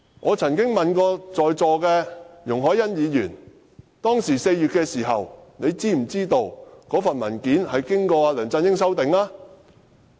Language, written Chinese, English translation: Cantonese, 我曾經問過在座的容海恩議員 ，4 月時她是否知悉該份文件經梁振英修改過。, I once asked Ms YUNG Hoi - yan who is present in the Chamber now whether she knew in April that the document had been amended by LEUNG Chun - ying